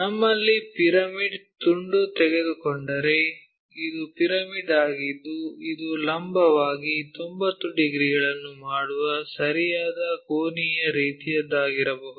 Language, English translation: Kannada, If, we have a pyramid take a slice, this is the pyramid it might be right angular kind of thing vertically making 90 degrees